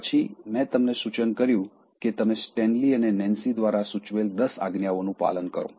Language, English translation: Gujarati, Then, I suggested that, you follow the 10 commandments suggested by Stanley and Nancy